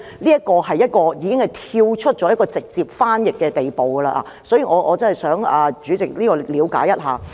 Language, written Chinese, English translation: Cantonese, 此舉已達到跳出直接翻譯的地步。所以，我想請主席了解一下。, This move has gone beyond the realm of direct translation so I urge President to please take a look into it